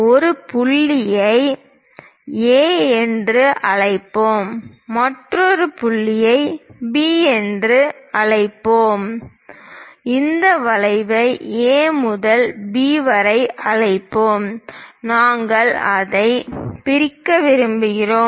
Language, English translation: Tamil, Let us call some point A, let us call another point B and this arc from A to B; we would like to dissect it